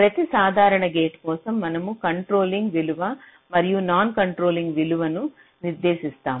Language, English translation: Telugu, for every simple gate, we define something called a controlling value and a non controlling value